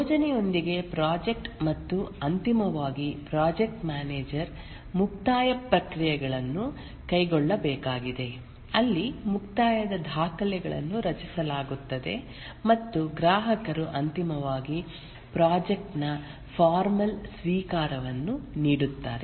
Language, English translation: Kannada, And finally, the project manager needs to carry out the closing processes where the closing documents are created and the customer finally gives the formal acceptance of the project